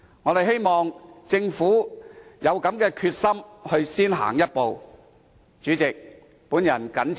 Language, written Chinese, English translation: Cantonese, 我們希望政府有先行一步的決心。, We hope that the Government will have the determination to take the lead